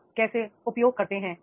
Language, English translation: Hindi, How do you use